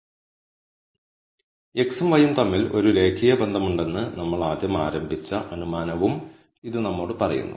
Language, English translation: Malayalam, It also tells us the assumption that we made initially to begin with, that there is a linear relationship between x and y